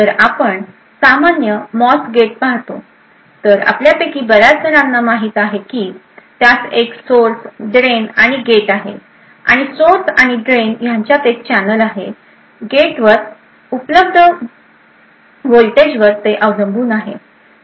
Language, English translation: Marathi, So, if we look at a typical MOS gate as many of us know, So, it has a source, drain and gate and there is a channel and established between the source and drain depending on the voltage available at the gate